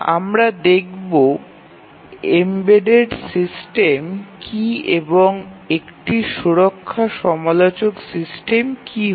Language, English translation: Bengali, So, we will see what is an embedded system and what is a safety critical system